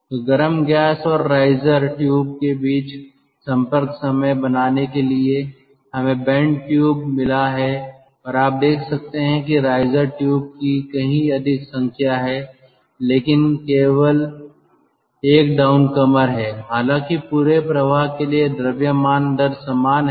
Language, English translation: Hindi, so to make the contact time between the hot gas and the riser tubes, we have got bend tube and you can see that there are number of riser tubes but there is only one down commodity, though the mass flow rate is same ah for the entire circuit